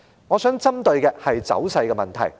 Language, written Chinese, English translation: Cantonese, 我想聚焦於走勢方面。, I want to focus on the tendencies